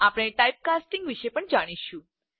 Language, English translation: Gujarati, We will also learn about Type casting